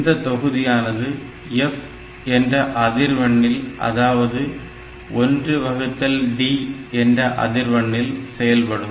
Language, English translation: Tamil, So, you can operate this module at a frequency f equal to 1 by D